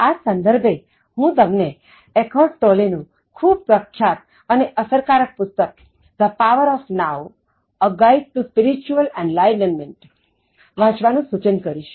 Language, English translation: Gujarati, In that context, I suggested that you, should read the most famous and most effective book by Eckhart Tolle, that is, The Power of Now: A Guide to Spiritual Enlightenment